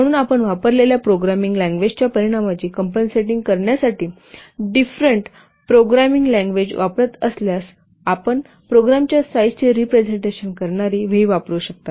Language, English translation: Marathi, So, if you are using different programming languages in order to compensate the effect of the programming language used, you can use for V which represents the size of the program